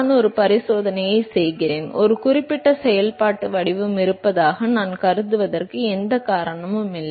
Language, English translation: Tamil, I am doing an experiment, there is no reason why I should assume that there is a certain functional form